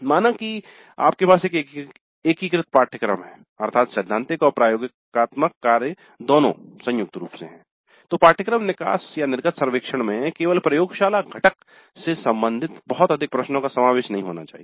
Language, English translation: Hindi, Now if we have an integrated course that means both theory and laboratory combined then the course exit survey may not allow too many questions regarding only the laboratory component